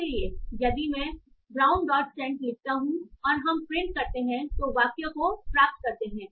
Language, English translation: Hindi, So, if I write brown dot sent and we print the result, we get the sentences